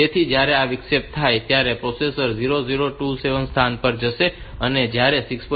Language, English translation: Gujarati, So, when this interrupt occurs then the processor will jump to the location 002C then when 6